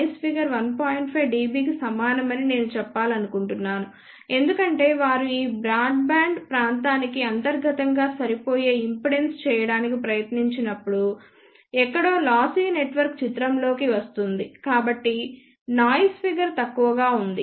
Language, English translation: Telugu, 5 dB because when they try to do impedance matching internally for this broadband region, somewhere lossy network does come into picture hence noise figure is poor